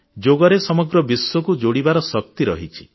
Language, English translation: Odia, Yoga has the power to connect the entire world